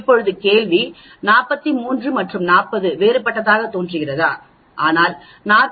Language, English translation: Tamil, Now the question is 43 and 40 appears to be different, but is 40